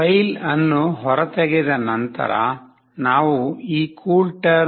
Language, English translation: Kannada, After extracting the file we shall get this CoolTerm